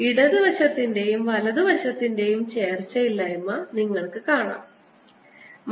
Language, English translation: Malayalam, you see the inconsistency of the left hand side and the right hand side